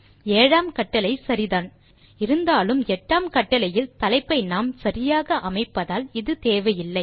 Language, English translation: Tamil, The seventh command although is correct, we do not need it since we are setting the title correctly in the eighth command